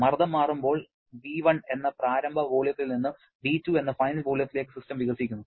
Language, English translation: Malayalam, Here the system is expanding from an initial volume of V1 to the final volume of V2 during when the pressure is changing